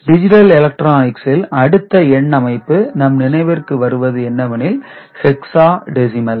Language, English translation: Tamil, And there is another number system you may come across in the digital electronics discussion, that is called hexadecimal